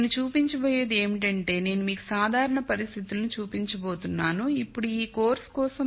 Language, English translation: Telugu, What I am going to show is I am going to show you the general conditions